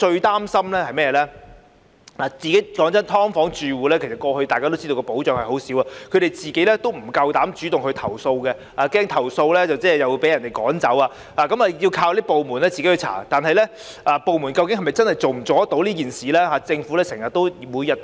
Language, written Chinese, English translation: Cantonese, 大家都知道"劏房"住戶得到的保障很少，他們不敢主動投訴，怕投訴後會被人趕走，因此，要靠有關部門進行調查，但有關部門究竟能否做到這件事呢？, Afraid of the consequence of eviction tenants of subdivided units are shy of lodging complaints on their own initiative and count on the relevant departments to conduct investigations . But then are the relevant departments able to get this task done?